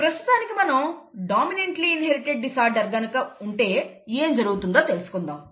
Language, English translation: Telugu, It so happens that a disorder could be a dominantly inherited disorder too